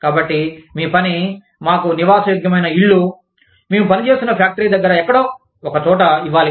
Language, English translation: Telugu, So, it is your job, to provide us, with livable houses, somewhere near the factory, that we are working in